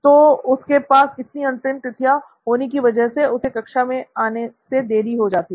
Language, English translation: Hindi, So he has way too many deadlines and hence he is late to class